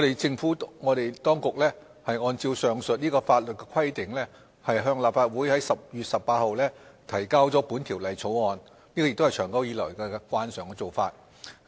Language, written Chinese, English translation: Cantonese, 政府當局按照上述法律規定在10月18日向立法會提交本《條例草案》。這也是長久以來的慣常做法。, The Government in accordance with the said provision introduced the Bill to the Legislative Council on 18 October following its long - standing normal practice